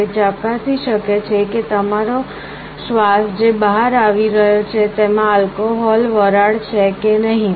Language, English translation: Gujarati, It can check whether your breath that is coming out contains means alcohol vapor or not